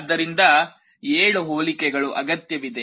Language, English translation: Kannada, So, 7 comparisons are required